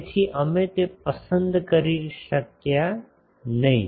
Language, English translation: Gujarati, So, we could not choose that